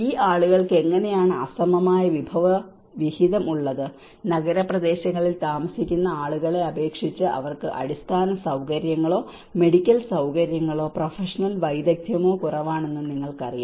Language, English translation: Malayalam, How these people have an unequal resource allocation, you know they might be having a less medical infrastructure compared to you know they have a less infrastructure, medical facilities or the professional expertise compared to the people who are living in urban areas